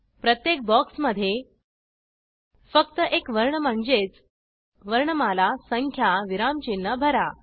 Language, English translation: Marathi, In each box, fill only one character i.e (alphabet /number / punctuation sign)